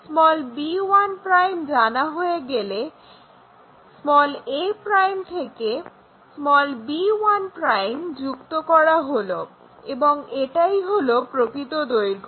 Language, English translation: Bengali, Once b 1' is on, a' to b 1' connect it and that is the true length